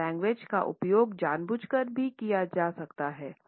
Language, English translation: Hindi, Paralanguage can be used intentionally also